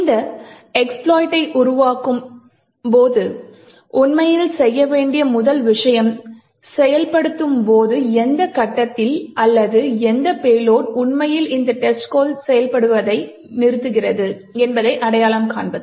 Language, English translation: Tamil, The first thing to actually do when creating this expert is to identify at what point during execution or what payload would actually cause this test code to stop executing